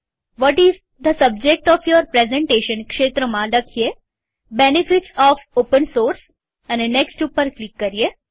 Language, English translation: Gujarati, In the What is the subject of your presentation field, type Benefits of Open Source